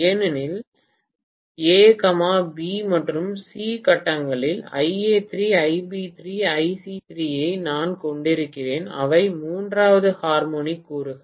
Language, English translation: Tamil, Because if I say, A, B and C phases I am going to have I a3, I b3, I c3 which are the third harmonic components